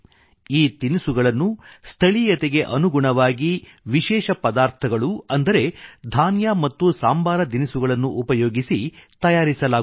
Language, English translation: Kannada, These dishes are made with special local ingredients comprising grains and spices